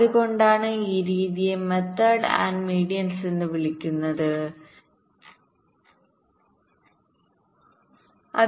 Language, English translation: Malayalam, thats why this method is called method of means and medians